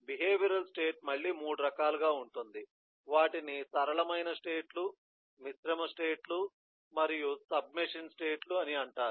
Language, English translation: Telugu, the behavioral state in turn will be of again 3 kinds: they are called simple states, composite states and submachine state